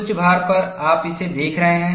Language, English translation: Hindi, At the peak load, you are looking at it